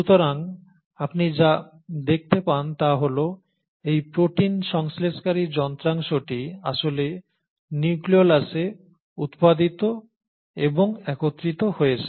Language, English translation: Bengali, So what you find is that this protein synthesising machinery is actually produced and assembled in the nucleolus